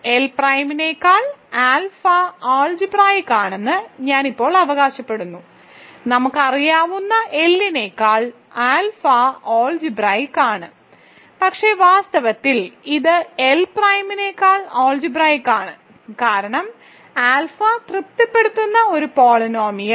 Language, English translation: Malayalam, Now, I claim that alpha is algebraic over L prime; alpha is algebraic over L that we know, but it is in fact, algebraic over L prime because, the polynomial that alpha satisfies